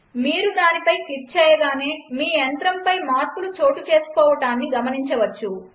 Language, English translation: Telugu, As soon as you click on that you can see that changes have applied to your machine